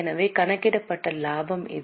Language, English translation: Tamil, So, this is the profit as calculated